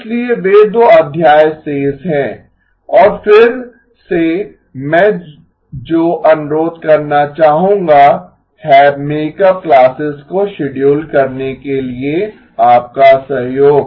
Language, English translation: Hindi, So those are the two chapters remaining and again what I would like to request is your cooperation to schedule the makeup classes